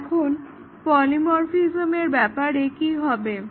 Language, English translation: Bengali, Now, what about polymorphism